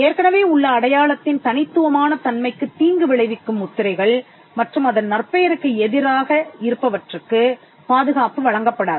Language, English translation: Tamil, Marks that are detrimental to the distinctive character of an existing mark and against the repetition of a trademark will not be granted protection